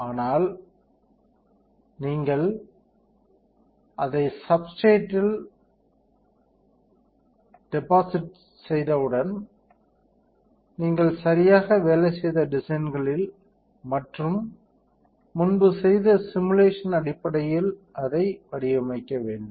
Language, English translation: Tamil, But once you deposit it on a substrate, you have to pattern it in the designs that you have been working on right and based on the simulation that you have previously done